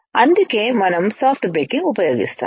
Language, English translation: Telugu, That is why we use soft baking